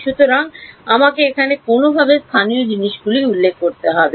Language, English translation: Bengali, So, there I have to somehow refer to the local things right